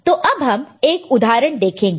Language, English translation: Hindi, Now, let us look at an example, ok